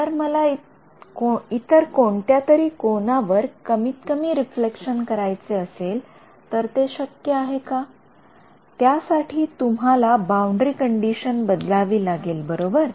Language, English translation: Marathi, If I wanted to minimize the reflection at some other angle is it possible, you have to change the boundary condition right